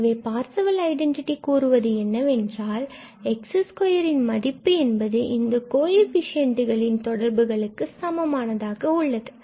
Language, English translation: Tamil, So, the Parseval's theorem says that this will be equal to these relation of the coefficients